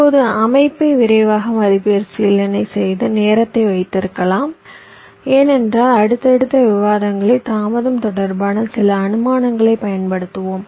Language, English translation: Tamil, now let ah have a quick recap of the setup and hold time because we shall be using some of the delay related assumptions in our subsequent discussions